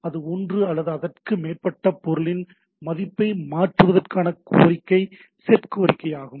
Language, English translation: Tamil, Set requests, a request to modify the value of one or more object that is a set request